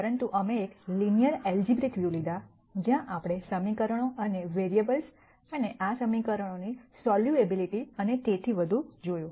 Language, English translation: Gujarati, But we took a linear algebraic view where we looked at equations and variables and solvability of these equations and so on